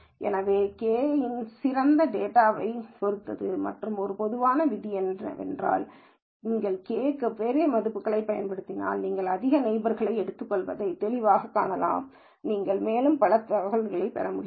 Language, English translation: Tamil, So, the best choice of k depends on the data and one general rule of thumb is, if you use large values for k, then clearly you can see you are taking lot more neighbors, so you are getting lot more information